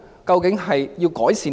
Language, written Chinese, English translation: Cantonese, 究竟要改善甚麼？, What kind of improvements will be made?